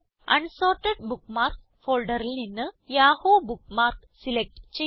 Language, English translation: Malayalam, From the Unsorted Bookmarks folder select the Yahoo bookmark